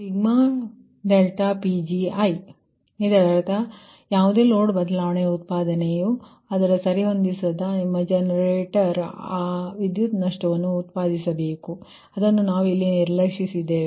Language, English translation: Kannada, so that means whatever load change generation has to accommodate, that your generator has to generate, that power loss we have in ignored here, right